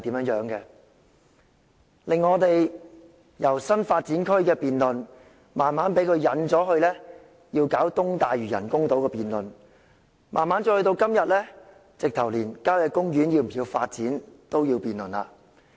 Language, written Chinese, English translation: Cantonese, 施政報告的辯論內容由新發展區，逐漸被他誘導至中部水域人工島，慢慢到了今天，連郊野公園是否需要發展也要辯論。, From the new development areas the debate on the Policy Address has been gradually steered by him to the artificial island in the central waters; and then slowly today the question whether country parks should be developed is a subject of debate